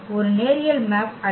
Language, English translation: Tamil, Why linear map